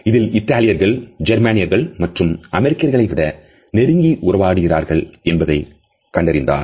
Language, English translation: Tamil, And which had found that Italians interact more closely in comparison to either Germans or American